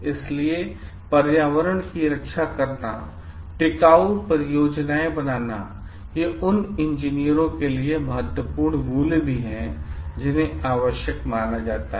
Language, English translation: Hindi, So, protecting the environment, making the projects sustainable, these are also important values for the engineers which needs to be considered